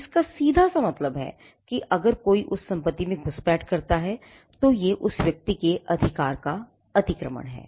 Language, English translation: Hindi, It simply means that, if somebody intrudes into the property that is a violation of that person’s right